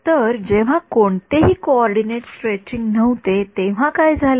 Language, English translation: Marathi, So, when there was no coordinate stretching, what happened